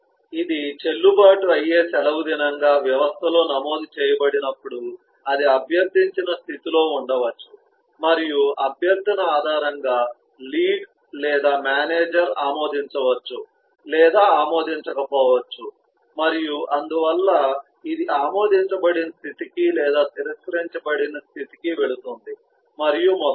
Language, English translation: Telugu, yet when it has been registered in the system as a valid leave, then it could be in the requested state and, based on the request, the lead or the manager may or may not approve and therefore it go to the approved state or regretted state and so on